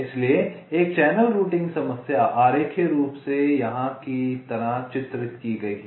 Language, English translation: Hindi, so so a channel routing problem is diagrammatically depicted like here